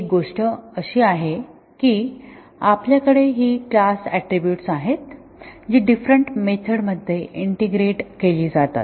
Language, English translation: Marathi, One thing is that we have this class attributes which are shared between various methods